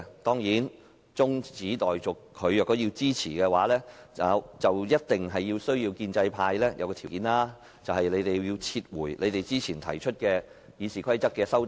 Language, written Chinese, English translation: Cantonese, 當然，要他支持中止待續議案，建制派必須符合一個條件，便是他們要撤回先前提出的《議事規則》的修正案。, Of course in order to obtain his support for the adjournment motion the pro - establishment camp must first meet the requirement of withdrawing the amendments previously proposed to RoP